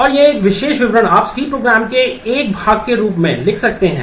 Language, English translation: Hindi, And this particular statement you can write as a part of the C program